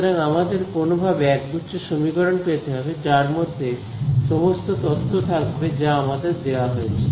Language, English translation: Bengali, So, we need to somehow arrive at a system of equations which captures all the information that is given to me